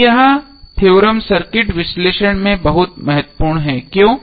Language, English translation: Hindi, Now this theorem is very important in the circuit analysis why